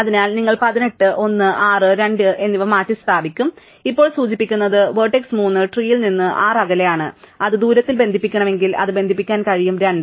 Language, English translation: Malayalam, So, you will replace 18, 1 by 6, 2 indicating now the vertex 3 is 6 distance away from the tree, and if it were to be connected at the distance, it could be connected to 2